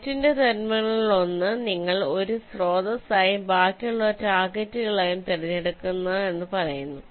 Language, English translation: Malayalam, it says you select one of the terminals of the net as a source and the remaining as targets